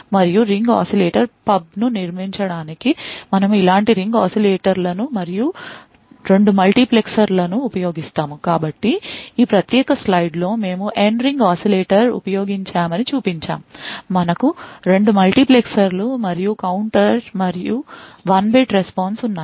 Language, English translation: Telugu, And in order to build a ring oscillator pub, we would use many such Ring Oscillators and 2 multiplexers, So, in this particular slide we have shown that we have used N Ring Oscillators, we have 2 multiplexers and a counter and 1 bit response